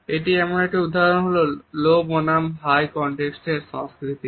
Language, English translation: Bengali, Here is an example of a high context culture